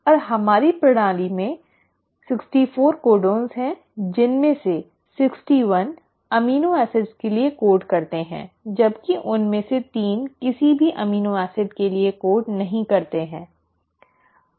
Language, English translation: Hindi, And there are 64 codons in our system out of which, 61 of them code for amino acids, while 3 of them do not code for any amino acid